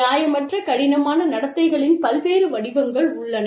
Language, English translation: Tamil, Various forms of, unreasonable difficult behaviors, exist